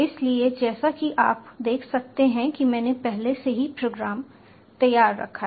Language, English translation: Hindi, so, as you can see, i have already kept the program ready